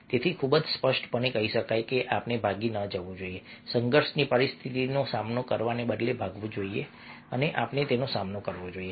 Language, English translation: Gujarati, so very clearly one can say that we should not flee, run away from the conflicting situations rather face we have to face